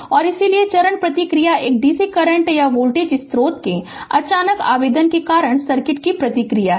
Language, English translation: Hindi, And so, the step response is the response of the circuit due to a sudden application of a dccurrent or voltage source